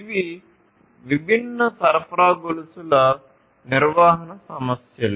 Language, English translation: Telugu, So, these are the different supply chain management issues